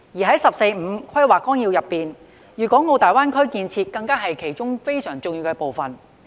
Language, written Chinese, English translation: Cantonese, 在《十四五規劃綱要》中，粵港澳大灣區建設是非常重要的部分。, In the Outline of the 14th Five - Year Plan the development of the Guangdong - Hong Kong - Macao Greater Bay Area GBA is a very important part